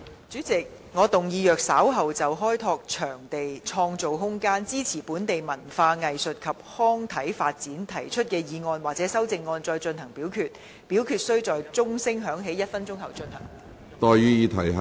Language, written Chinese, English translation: Cantonese, 主席，我動議若稍後就"開拓場地，創造空間，支持本地文化藝術及康體發展"所提出的議案或修正案再進行點名表決，表決須在鐘聲響起1分鐘後進行。, President I move that in the event of further divisions being claimed in respect of the motion on Developing venues and creating room to support the development of local culture arts recreation and sports or any amendments thereto this Council do proceed to each of such divisions immediately after the division bell has been rung for one minute